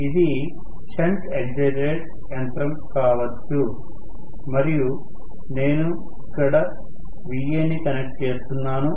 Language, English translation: Telugu, May be it is a shunt excited machine and I am connecting Va here